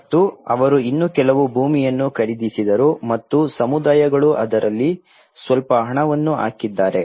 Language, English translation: Kannada, And they bought some more land and this is where communities have put some money in it